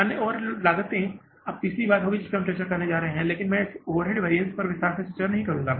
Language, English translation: Hindi, Other overhead costs now will be the third thing we will be going to discuss but I will not discuss this overhead variances in detail